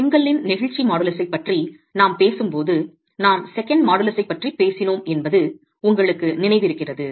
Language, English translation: Tamil, If you remember when we were talking about the modulus of the elasticity of the brick, we were talking of the second modulus